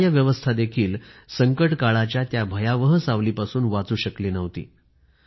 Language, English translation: Marathi, The judicial system too could not escape the sinister shadows of the Emergency